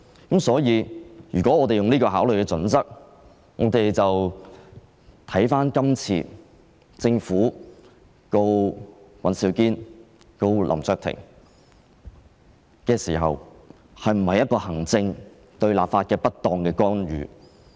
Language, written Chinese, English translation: Cantonese, 基於這個考慮的準則，我們便要看看香港特別行政區訴林卓廷及尹兆堅一案是否行政機關對立法會的不當干預。, Moreover we have to consider whether the case of HKSAR v LAM Cheuk - ting WAN Siu - kin Andrew involves improper interference with the Legislative Council by the executive authorities